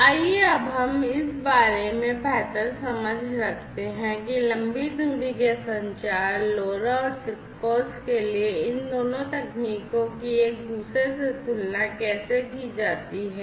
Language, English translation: Hindi, So, let us now have a better understanding about how these two technologies for long range communication LoRa and SIGFOX compare with each other